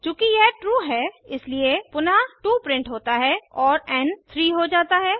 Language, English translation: Hindi, since it is true, again 2 is printed and n becomes 3